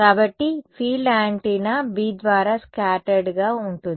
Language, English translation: Telugu, So, the field scattered by antenna B right